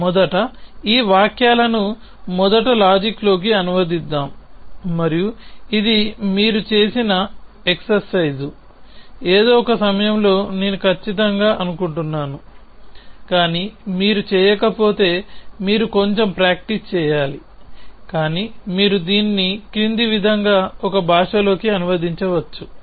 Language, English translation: Telugu, So, let us first translate these sentences into first logic and this is an exercise which you must have done i am sure at some point of time, but if you not done you must practice a little bit, but you can translate this into a language as follows